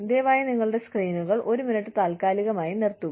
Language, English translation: Malayalam, Please, pause your screens for a minute